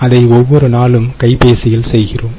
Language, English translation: Tamil, we do it in the our cell phones every day